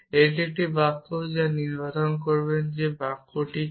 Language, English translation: Bengali, This is a sentence which will have not decide define what is the sentence